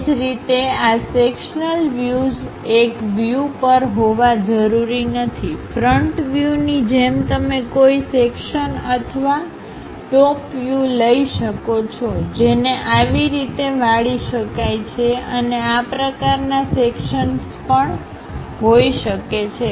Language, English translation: Gujarati, Similarly, these sectional views may not necessarily to be on one view; like front view you can take section or top view, it can be bent and kind of sections also